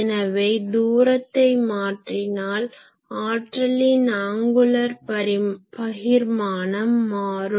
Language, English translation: Tamil, So, as you change the distance the angular distribution is getting changed